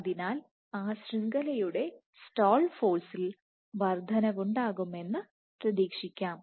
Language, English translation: Malayalam, So, the stall force of that network is expected to increase ok